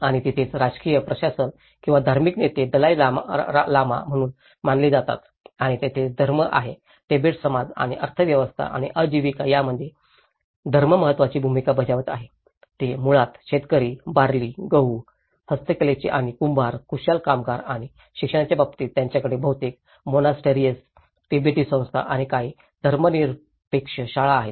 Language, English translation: Marathi, And whereas, the political administration, where the religious leader is considered as the Dalai Lama was also the political head and there is religion has placed an important role in the Tibetan society and again economy and livelihood; they are basically the farmers, barley, wheat and handicrafts and potters, the skilled labour and in terms of education, they have about the monastery mostly, Tibetan institutions and a few secular schools